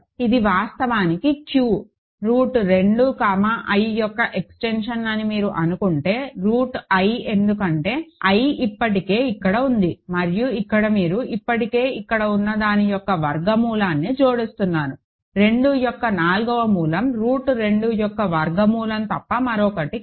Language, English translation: Telugu, So, this if you think for a minute is actually an extension of Q root 2, root i because, i is already there and here you are adding a square root of something that is already here, fourth root of 2 is nothing but square root of root 2